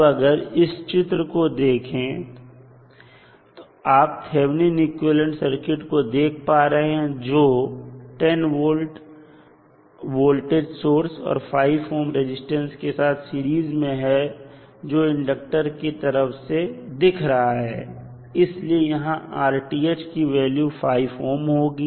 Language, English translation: Hindi, Now, if you see this particular figure if you see the thevenin equivalent what will happen to the thevenin equivalent will be 10 volt plus minus in series with 5 ohm resistance